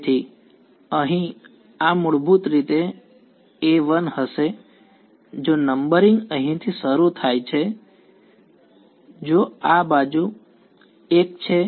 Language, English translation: Gujarati, So, over here this is going to be basically a 1 if the numbering begins from here if this is also edge 1 right